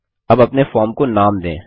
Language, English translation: Hindi, Let us now give a name to our form